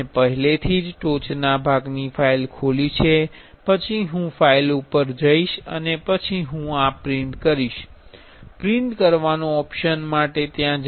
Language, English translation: Gujarati, So, I will I have already opened the top part file, then I will go to files then I will go to print here, the print option, then I will select this sent to 3D print service